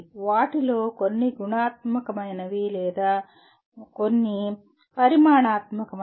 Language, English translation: Telugu, Some of them are qualitative or some are quantitative